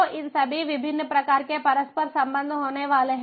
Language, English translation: Hindi, so all these different types of interconnectivities are going to be there